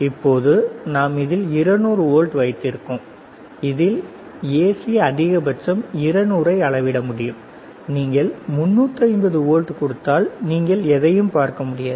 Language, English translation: Tamil, Now, we go further 200 volts, AC maximum it can measure 200, if you give 350 volts, you cannot see anything